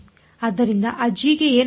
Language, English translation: Kannada, So, what will happened to that g